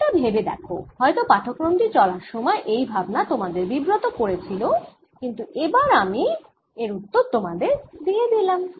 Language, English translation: Bengali, it may have bothered you throughout the lecture, but now i have given you the answer